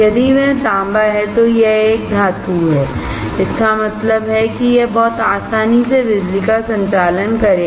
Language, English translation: Hindi, If it is copper, then it is a metal; that means, it will conduct electricity very easily